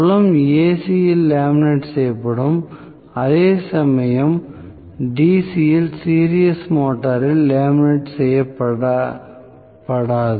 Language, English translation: Tamil, So, field will be laminated in AC whereas that is not laminated in DC series motor